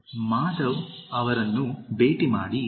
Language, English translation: Kannada, 1) Meet Madhav